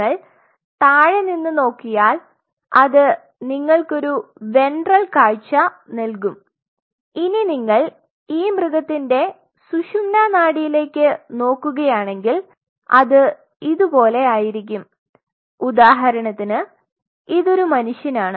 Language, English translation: Malayalam, You see the bottom this gives you a ventral view now if you look at this spinal cord spinal cord is in this animal it will be like this or say for example, this is human